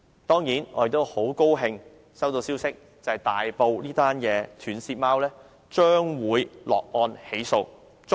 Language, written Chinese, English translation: Cantonese, 當然，我們很高興接獲消息指大埔斷舌貓案已捉拿兇徒，將會落案起訴。, We are certainly pleased by the news that the culprit has been caught and will be charged